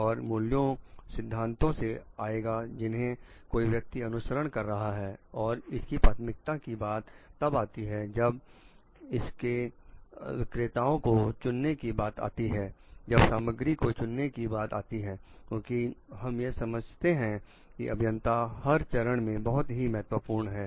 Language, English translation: Hindi, And that will come from the values the principles that the person is following and when it comes to prioritizing, when it comes to maybe choice of vendors, it comes to selection of materials because, we understand that engineering at each of the phases are very important